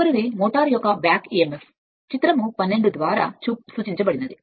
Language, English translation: Telugu, Next is that back emf of a motor generally referred to figure 12